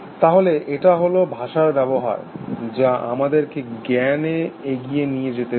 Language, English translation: Bengali, So, it is a use of language, which us enabled us to carry forward knowledge